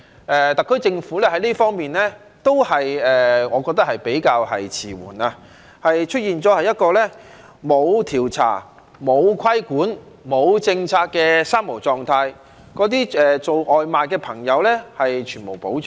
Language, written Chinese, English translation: Cantonese, 我覺得特區政府在這方面都是比較遲緩，出現了一個沒有調查、沒有規管、沒有政策的"三無"狀態，對那些送外賣的朋友全無保障。, I think the SAR Government is rather tardy in this regard as reflected by the situation with three Noes―no survey no regulation and no policy―and takeaway delivery workers are completely stripped of any protection